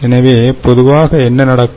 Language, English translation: Tamil, so therefore, what happens